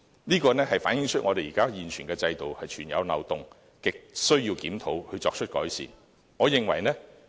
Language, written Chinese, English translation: Cantonese, 這反映出我們現有制度存有漏洞，亟需要檢討，作出改善。, This shows that our existing mechanism is flawed and is in desperate need of review and improvement